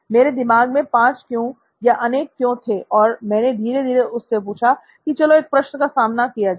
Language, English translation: Hindi, So I had 5 Whys in mind, the multi Whys in mind, so I took him down slowly and I asked him, so let’s face a question